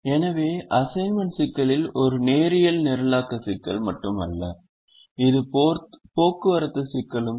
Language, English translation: Tamil, so the assignment problem is not only a linear programming problem, it is also a transportation problem